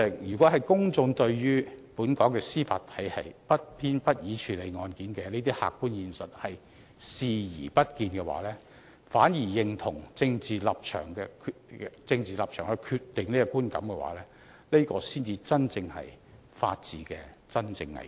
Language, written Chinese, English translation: Cantonese, 如果公眾對本港司法體系不偏不倚處理案件的這些客觀現實視而不見，反而認同由政治立場決定這個觀感，才是法治的真正危機。, If the public ignore the objective fact that the Judiciary in Hong Kong has impartially handled these cases and instead allow the formation of such perception based on political stances then this will truly damage the rule of law